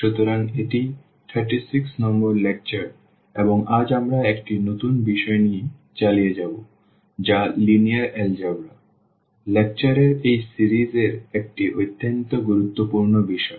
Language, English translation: Bengali, So, this is a lecture number 36 and today we will continue with a new topic that is a linear algebra a very important topic in these series in this series of lecture